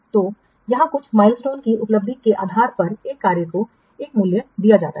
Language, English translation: Hindi, So, normally here the value will be assigned based on achievement of some milestones